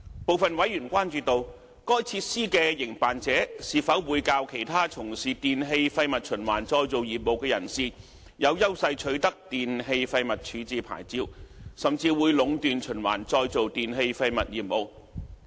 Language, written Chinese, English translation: Cantonese, 部分委員關注到，該設施的營辦者是否會較其他從事電器廢物循環再造業務的人士，更有優勢取得電器廢物處置牌照，甚至會壟斷循環再造電器廢物業務。, Some members were concerned that the WEEETRF operator may have an advantage over other recyclers when it comes to obtaining the licence or even monopolizing the business of recycling e - waste